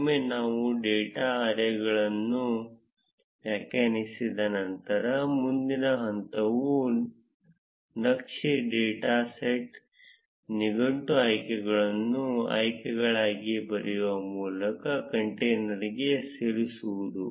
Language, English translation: Kannada, Once we have defined the data arrays, the next step is to add it to the container by writing chart dot set dictionary options to be options